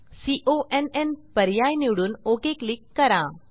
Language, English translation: Marathi, Choose conn option and click on OK